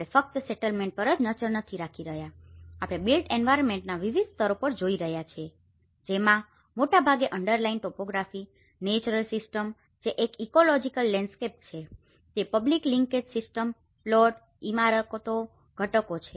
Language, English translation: Gujarati, We are not just looking at a settlement, we are also looking at the different layers of the built environment the mostly the underlying topography, the natural system which is an ecological landscape of it the public linkage system, the plots, the buildings, the components